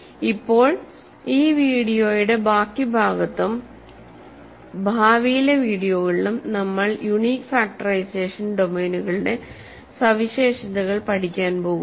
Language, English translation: Malayalam, So now, in this rest of this video and in the future videos we are going to study properties of unique factorization domains